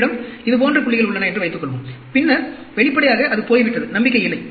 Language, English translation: Tamil, Suppose, you have points like this, then obviously, it is gone, no hope